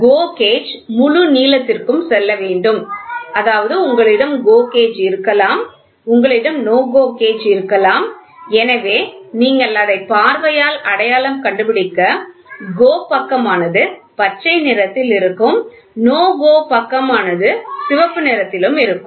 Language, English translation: Tamil, The GO gauge must GO to the fullest length so; that means to say if you have a GO gauge and if you have a NO GO gauge, naturally what will happen by visual identity itself you can see GO side will be green in color no GO will be in red in color